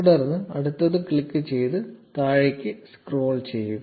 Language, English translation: Malayalam, Then click next and scroll down